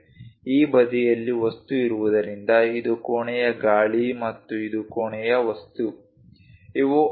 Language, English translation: Kannada, Because there is a material on this side this is the room air and this is the room material, these are the edges